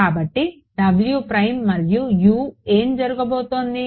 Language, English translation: Telugu, So, what will happen over here